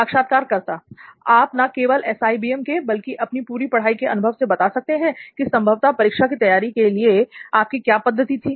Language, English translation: Hindi, Basically you can share your experience not only from SIBM, your entirely, from your entire learning experience you can tell us how you probably approach examinations